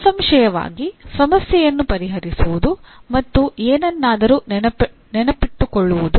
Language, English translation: Kannada, Obviously solving a problem, remembering something is not at the same level